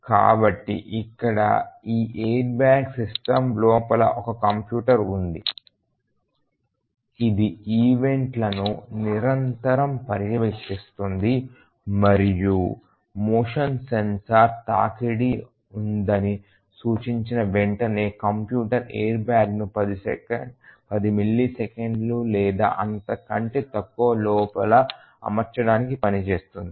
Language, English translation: Telugu, So, here just look at it that there is a computer inside this airbag system which is continuously monitoring the events and as soon as the motion sensor indicates that there is a collision the computer acts to deploy the airbag within 10 millisecond or less